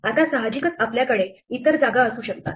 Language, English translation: Marathi, Now, in general we may have other spaces